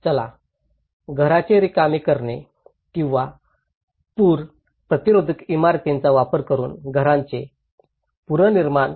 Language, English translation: Marathi, Let’s say evacuations or using flood resistant building materials, retrofitting the house